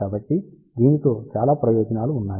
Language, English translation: Telugu, So, it has lots of advantages